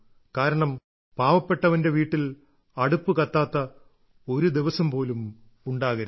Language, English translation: Malayalam, So, no such a day ever occurs in a needy home when the stove is not lit